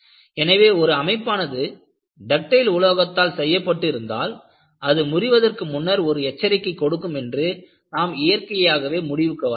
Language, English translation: Tamil, So, you naturally conclude, when we make a structure out of a ductile material, it would give you some kind of a warning before it fails